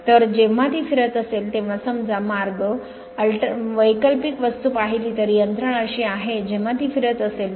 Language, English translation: Marathi, So, in that case when it is revolving suppose the way we saw alternating thing the mechanism is such that when it is revolving right